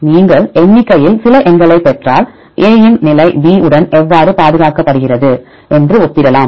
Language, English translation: Tamil, If you numerically get some numbers then you can compare this position a is more conserved than position number b